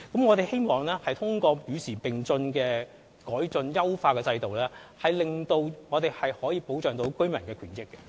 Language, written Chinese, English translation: Cantonese, 我們希望通過與時並進的措施來改進、優化制度，保障居民的權益。, We wish to improve and optimize the System through measures kept abreast of the times to protect residents rights and interests